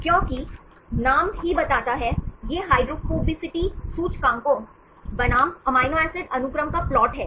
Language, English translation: Hindi, Because name itself tells, it is the plot of the hydrophobicity indices versus amino acid sequence